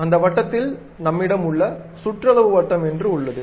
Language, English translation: Tamil, In the same circle, there is something like perimeter circle we have